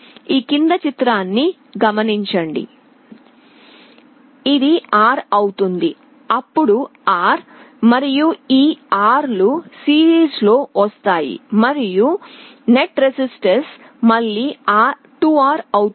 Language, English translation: Telugu, This becomes R, then that R and this R will come in series and the net resistance will again become 2R